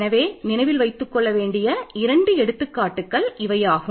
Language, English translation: Tamil, And example to keep in mind, I will give you two examples